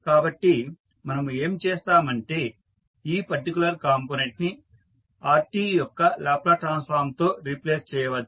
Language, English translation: Telugu, So, what we will do we will this particular component you can replace with the Laplace transform of Rt